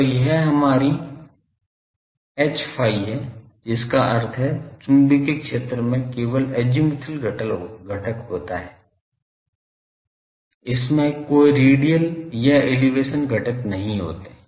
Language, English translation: Hindi, So, this is our H phi that means, the magnetic field only have an azimuthal component, it does not have any radial or elevation components